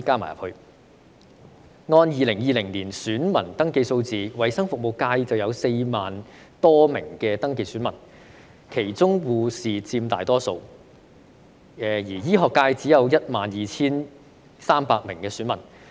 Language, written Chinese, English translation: Cantonese, 按照2020年選民登記數字，衞生服務界有 40,000 多名登記選民，其中護士佔大多數，而醫學界只有 12,300 名選民。, According to the voter registration statistics in 2020 there are 40 000 - odd registered voters in the health services sector with nurses making up the majority . As for the medical sector there are only 12 300 registered voters